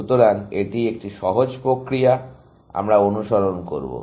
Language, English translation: Bengali, So, this is a simple process, we will follow